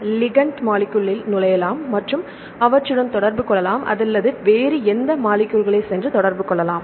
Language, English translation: Tamil, So, that the ligand molecules can enter and interact or any other molecule can go and interact